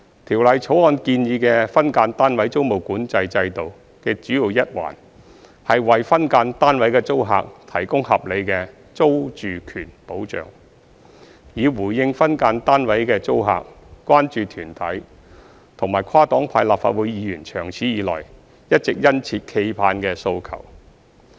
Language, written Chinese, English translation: Cantonese, 《條例草案》建議的分間單位租務管制制度的主要一環，是為分間單位的租客提供合理的租住權保障，以回應分間單位的租客、關注團體及跨黨派立法會議員長此以來一直殷切期盼的訴求。, A key part of the Bills proposed tenancy control mechanism for SDUs is to provide reasonable security of tenure for SDU tenants in response to the long - standing aspirations of SDU tenants concern groups and Members from different major political parties and groupings of the Legislative Council